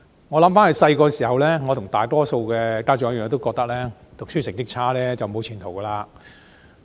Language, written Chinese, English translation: Cantonese, 回想他們小時候，我跟大多數家長一樣，都認為讀書成績差便沒有前途。, When they were young I like many other parents believed that they would have no future if they did not perform well academically